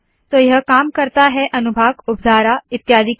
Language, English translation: Hindi, So this works for sections, sub sections and so on